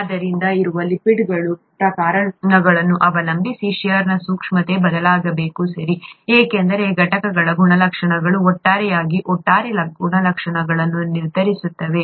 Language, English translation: Kannada, So depending on the types of lipids that are present, the shear sensitivity should vary, okay, because the properties of the constituents determine the overall properties of the whole